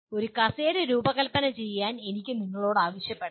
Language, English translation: Malayalam, I can ask you to design a chair